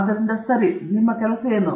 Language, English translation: Kannada, So, what is your work